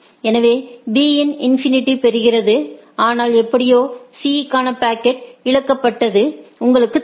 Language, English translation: Tamil, So, B also gets the infinity, but somehow the packet to C is lost you know